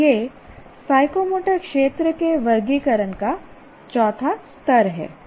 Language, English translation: Hindi, So, this is the fourth level of taxonomy of psychomotor domain